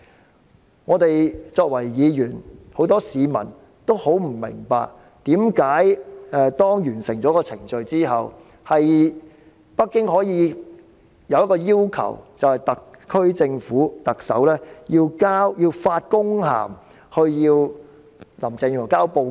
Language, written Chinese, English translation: Cantonese, 然而，我們議員及很多市民也很不明白，為甚麼在完成程序後，北京可以向特區政府的特首發公函，要求林鄭月娥交報告？, However many of our Members and people do not understand why Beijing after the completion of the relevant procedures can send an official letter to the Chief Executive of the SAR Government demanding a report from Carrie LAM